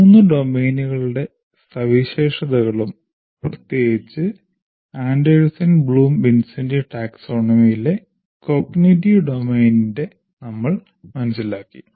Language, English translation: Malayalam, We understood the features of the three domains and particularly in the cognitive domain, the Anderson Bloom Wincenti taxonomy